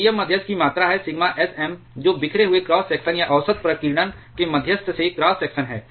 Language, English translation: Hindi, VM is the volume of the moderator sigma sM is the scattering cross section or average scattering cross section of the moderator